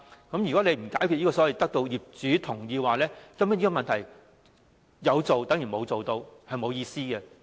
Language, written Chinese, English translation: Cantonese, 不解決"必須得到業主同意"的問題，根本就於事無補，毫無意義。, If the problem of obtaining landlords consent is not resolved all efforts will be futile and meaningless